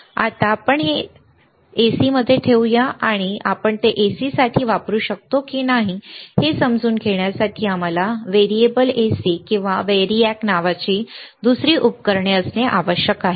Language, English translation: Marathi, Now, let us let us keep it to AC, and to understand whether we can use it for AC or not we need to have another equipment called variable AC or variAC , which is V A R I A C